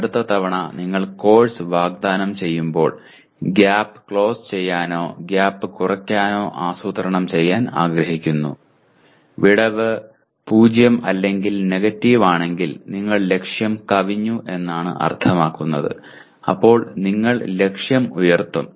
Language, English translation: Malayalam, You want to plan next time you offer the course to close the gap or reduce the gap and if the gap is 0 or negative that means you have exceeded the target then you raise the target